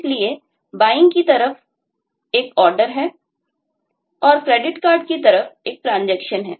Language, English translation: Hindi, that on the buying side there is an order that you place and on the credit card side there is a transaction